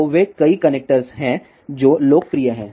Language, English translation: Hindi, So, they are many connectors which are popular